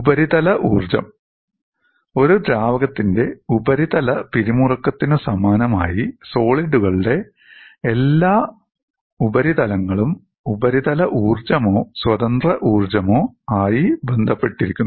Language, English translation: Malayalam, Similar to surface tension of a liquid, all surfaces of solids are associated with surface energies or free energies